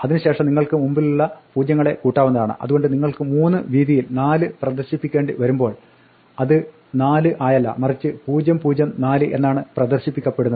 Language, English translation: Malayalam, Then you can add leading zeroes, so you might to display a number 4 not in width 3 not as 4, but as 004